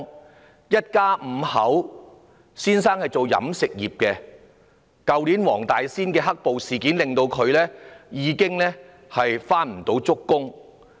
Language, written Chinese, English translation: Cantonese, 他們一家五口，丈夫從事飲食業，去年黃大仙"黑暴"事件令他開工不足。, They are a family of five . The husband was in the catering industry and the black violent incidents in Wong Tai Sin last year had made him underemployed